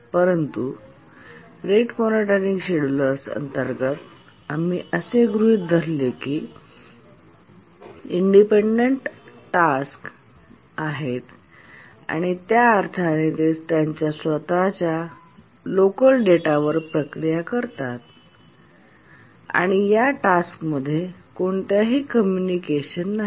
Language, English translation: Marathi, But in our discussion on the rate monotonic schedulers, we had assumed the tasks are independent in the sense that they process on their own local data and there is no communication whatever required among these tasks